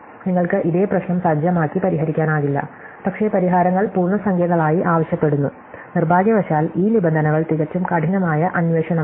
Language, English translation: Malayalam, So, can you not set up this same problem and solve it, but require the solutions to be integers, unfortunately this terms out to be quite a hard problem